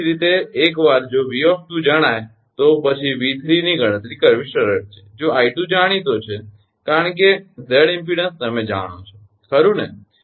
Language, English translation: Gujarati, easy to calculate v three if i two is known, because z, uh impedances are known for you, right